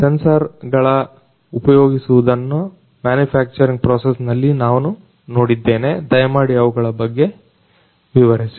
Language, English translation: Kannada, I have seen sensors are used in the manufacturing process, please explain about them